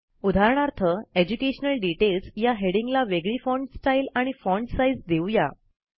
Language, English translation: Marathi, For example, let us give the heading, Education Details a different font style and font size